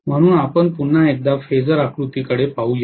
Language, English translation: Marathi, So let us try to look at the phasor diagram once again